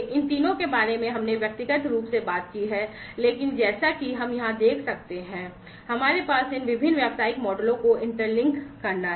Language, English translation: Hindi, So, so all these three we have individually talked about, but as we can see over here we have these inter linking these different business models